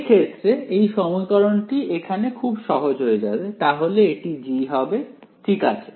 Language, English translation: Bengali, In that case, this equation over here it simply becomes right, so this should be capital G ok